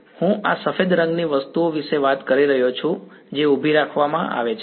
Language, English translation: Gujarati, No, I am talking about these white colored things that are kept vertical